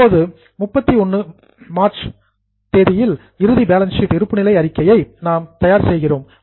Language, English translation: Tamil, Now, let us say we prepare accounts or balance sheet at the end of 31st of March